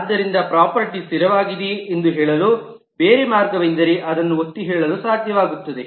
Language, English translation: Kannada, So the other way to say if a property is static is also to be able to underline that